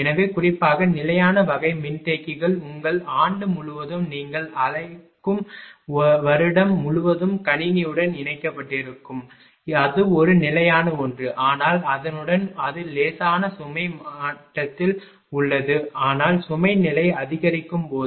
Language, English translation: Tamil, So, particularly fixed type of capacitors it will remain connected to the system throughout the your what you call year of the ah your throughout the year right it is it is a fixed one it will, but ah in addition to that that that is at the light load level, but when load level increases